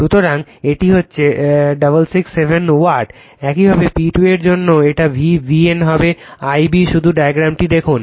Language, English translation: Bengali, So, it is becoming 667 Watt; similarly for P 2 it will be V B N , into I b just look at the diagram